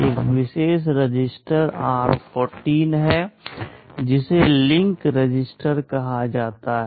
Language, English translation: Hindi, There is a special register r14 which is called the link register